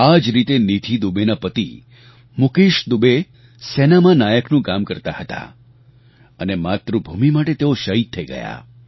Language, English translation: Gujarati, Similarly, Nidhi Dubey's husband Mukesh Dubey was a Naik in the army and attained martyrdom while fighting for his country